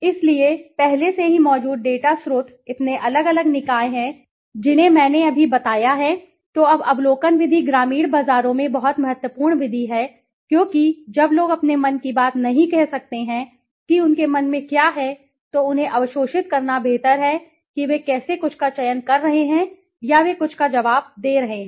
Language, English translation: Hindi, So, secondary data sources already there so different bodies are there I just told, then observation now observation method is very important method in the rural markets because when people cannot speak their mind what is in their mind, it is better to absorb them how they are selecting something or they are responding to something right